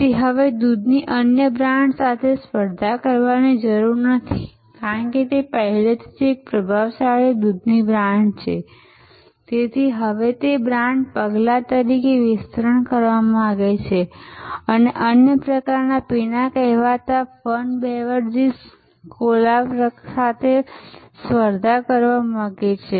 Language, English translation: Gujarati, So, it no longer needs to compete with other milk brands, because it is already a dominant milk brand, it now wants to expand it is brand footprint and wants to compete with other kinds of beverages, the so called fun beverages, the cola type of beverages and so on